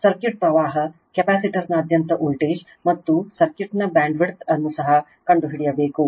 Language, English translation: Kannada, Also find the circuit current, the voltage across the capacitor and the bandwidth of the circuit right